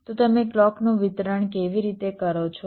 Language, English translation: Gujarati, so how do you distribute the clock